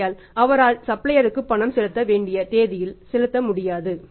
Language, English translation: Tamil, But he will not be able to make the payment due date to the supplier